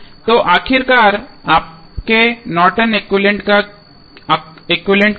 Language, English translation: Hindi, So, finally what would be your Norton's equivalent